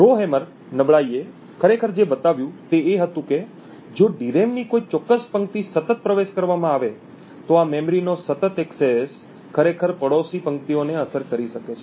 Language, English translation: Gujarati, What the Rowhammer vulnerability actually showed was that if a particular row in the DRAM was continuously accessed this continuous memory access could actually influence the neighbouring rows